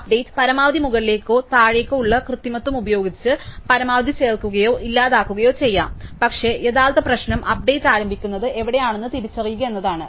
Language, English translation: Malayalam, The update can be done using this upward or downward manipulation exactly like insert or delete max, but the real problem is identifying where the update starts